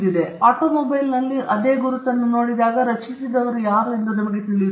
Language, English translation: Kannada, When we see the same mark on an automobile we know who created it